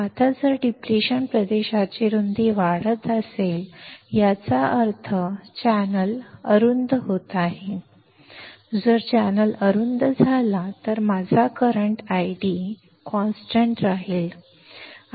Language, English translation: Marathi, Now, if the width of depletion region is increasing; that means, channel is becoming narrower; if channel becomes narrower, my current I D will be constant